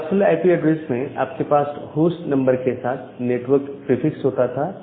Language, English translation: Hindi, So, in case of your classful IP addresses, you had the network prefix along with the host number